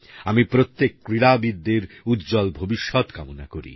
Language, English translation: Bengali, I wish all the players a bright future